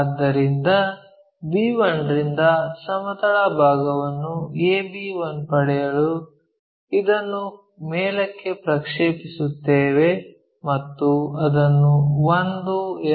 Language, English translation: Kannada, So, project this one all the way up to get horizontal component a b 1 from point b 1 and name it one somewhere we are going to name it